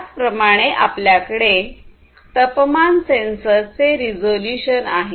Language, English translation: Marathi, Similarly, you have the resolution of a sensor like a temperature sensor